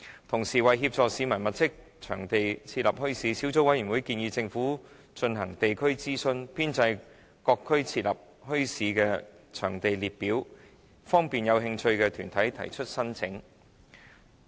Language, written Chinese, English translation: Cantonese, 同時，為協助市民物色場地設立墟市，小組委員會建議政府進行地區諮詢，編製各區適合設立墟市的場地列表，方便有興趣的團體提出申請。, At the same time to facilitate the publics identification of suitable sites for bazaars the Subcommittee recommends that the Administration should conduct local consultation in order to compile a list of sites in various districts suitable for establishing bazaars so as to cater for interested organizations in making applications